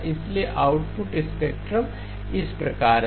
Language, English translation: Hindi, So the output spectrum is going to look as follows